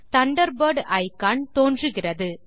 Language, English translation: Tamil, The Thunderbird icon appears